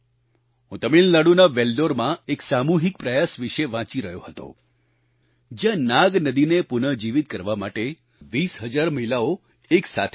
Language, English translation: Gujarati, I was reading about the collective endeavour in Vellore of Tamilnadu where 20 thousand women came together to revive the Nag river